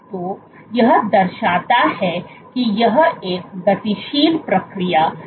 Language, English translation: Hindi, So, this shows that this is a dynamic process